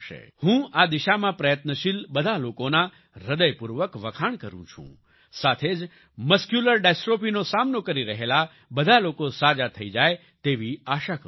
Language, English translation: Gujarati, I heartily appreciate all the people trying in this direction, as well as wish the best for recovery of all the people suffering from Muscular Dystrophy